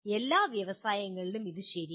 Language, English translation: Malayalam, This is also true of all industries